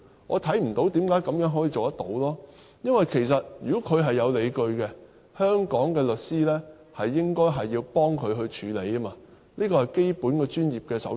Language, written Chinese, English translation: Cantonese, 我看不到為何可以這樣做，因為如果他是有理據的，香港的律師應該要幫助他處理，這是基本的專業守則。, I do not see why they can do that . As long as the claimant has his grounds Hong Kong lawyers should help him and this is the fundamental code of conduct of Hong Kong lawyers